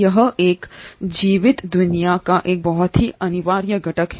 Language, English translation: Hindi, It is a very indispensable component of a living world